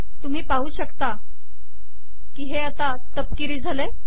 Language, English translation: Marathi, You can see that it has become brown